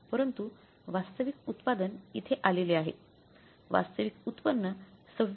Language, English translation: Marathi, But the actual output here has come up is actually yield is 26